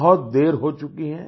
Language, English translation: Hindi, It is already late